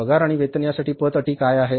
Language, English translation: Marathi, For the salaries and wages, what are the credit terms